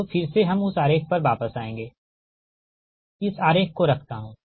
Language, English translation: Hindi, now again we will come back to that diagram